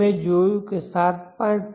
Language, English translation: Gujarati, 1 you will get 7